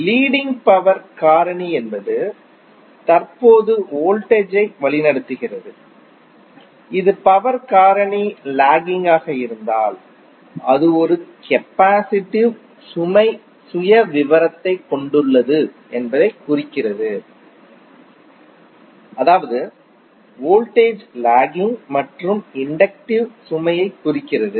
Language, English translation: Tamil, Leading power factor means that currently it’s voltage which implies that it is having the capacitive load file in case of lagging power factor it means that current lags voltage and that implies an inductive load